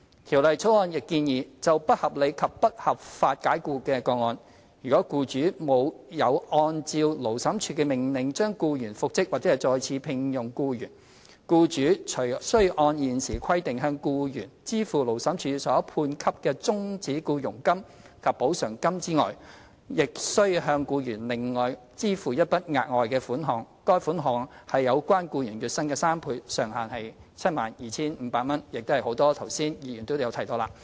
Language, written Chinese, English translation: Cantonese, 《條例草案》亦建議，就不合理及不合法解僱的個案，如僱主沒有按照勞審處的命令將僱員復職或再次聘用僱員，僱主除須按現時規定，向僱員支付勞審處所判給的終止僱傭金及補償金外，亦須向僱員另外支付一筆額外款項，款額為有關僱員月薪的3倍，上限為 72,500 元，亦是剛才很多議員提到的。, The Bill also proposes that in cases of unreasonable and unlawful dismissal if the employer fails to comply with an order for reinstatement or re - engagement of the employee made by the Labour Tribunal the employer must apart from paying terminal payments and the amount of compensation awarded as required under the existing provisions of the Ordinance also pay the employee a further sum three times the employees average monthly wages up to a maximum of 72,500 as many Members have mentioned